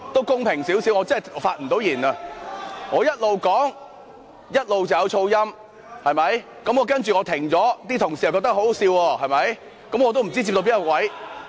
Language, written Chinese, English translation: Cantonese, 公平點，我真的不能發言，我邊說邊有噪音，然後我暫停，同事又覺得很可笑，我也不知道自己說到哪裏了。, I really cannot speak . There were noises when I was speaking . Then I paused but Honourable colleagues found it laughable